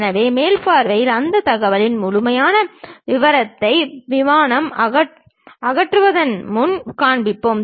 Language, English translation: Tamil, So, in top view, we will show complete details of that information, including the plane before removal